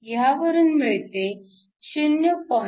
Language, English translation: Marathi, So, this gives you 0